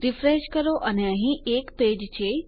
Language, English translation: Gujarati, Refresh and we have a page here